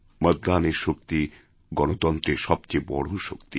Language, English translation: Bengali, The power of the vote is the greatest strength of a democracy